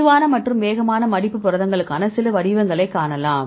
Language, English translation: Tamil, Then you could see some patterns for the slow and fast folding proteins